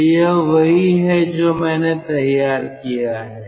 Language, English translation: Hindi, so this is the arrangement